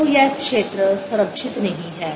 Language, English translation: Hindi, so this field is not conservative